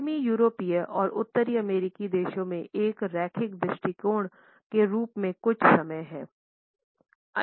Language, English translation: Hindi, The western European and North American countries few time as a linear vision